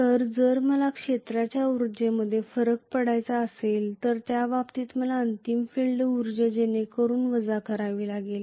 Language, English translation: Marathi, So if I want to do get the difference in field energy, in that case I have to minus whatever is the final field energy